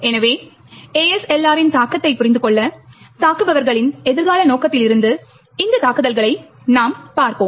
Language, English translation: Tamil, So, in order to understand the impact of ASLR, we would look at these attacks from the attackers prospective